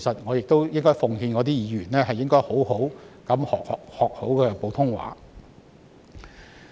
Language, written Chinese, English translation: Cantonese, 我亦奉勸那些議員好好學習普通話。, My advice to these Members is that they should learn Putonghua well